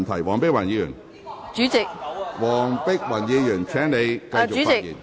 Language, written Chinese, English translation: Cantonese, 黃碧雲議員，請你繼續發言。, Dr Helena WONG please continue with your speech